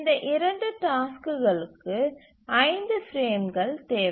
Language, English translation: Tamil, So we need five frames for these two tasks